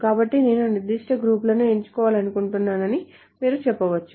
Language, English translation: Telugu, So you can say I want to select particular groups